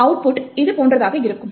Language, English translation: Tamil, The output would look something like this